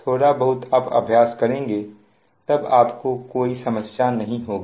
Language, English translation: Hindi, little bit you practice, then absolutely there is no problem